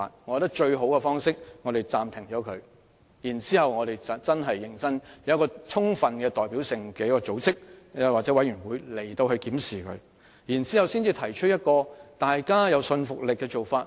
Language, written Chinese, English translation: Cantonese, 我認為最好的方法是擱置 TSA， 再成立具充分代表性的組織或委員會，在認真進行檢視後才提出具說服力的做法。, I think the best option to shelve TSA and then establish a fully representative organization or committee to put forward a convincing approach after conducting a review seriously